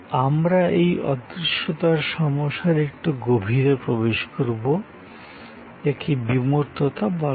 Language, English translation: Bengali, We will get into a little deeper end of this intangibility problem and these are called abstractness